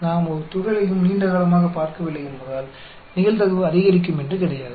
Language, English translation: Tamil, It is not that the probability will increase, because we have not seen a particle for a long time